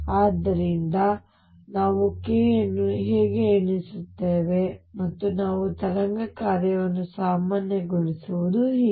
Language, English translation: Kannada, So, this is how we count k, and this is how we normalize the wave function